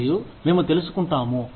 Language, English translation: Telugu, And, we find out